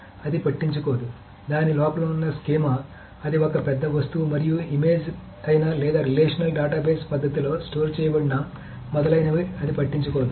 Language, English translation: Telugu, So it doesn't care what the schema inside it, whether it is one big object and image or it is actually stored in a relational database manner, etc